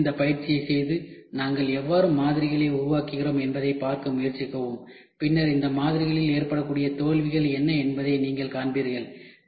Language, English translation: Tamil, Please do this exercise and try to see how do we make models and then you will see what are the failures which can happen in these models